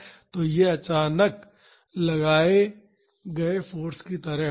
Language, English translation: Hindi, So, this force will be like a suddenly applied force